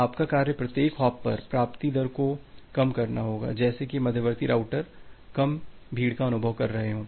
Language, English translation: Hindi, Your task would be to reduce the incoming rate at every individual hop such that intermediate routers is experience less congestion, less amount of congestion